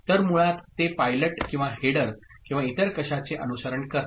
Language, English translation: Marathi, So, basically that serves as a pilot or a header or something else to follow, ok